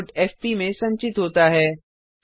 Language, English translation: Hindi, The output is stored in fp